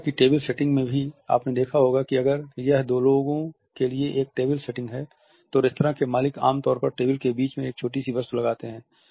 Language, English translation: Hindi, In the table setting of restaurants also you might be also noticed that if it is a table setting for the two, the restaurant owners normally put a small objects in the centre of the table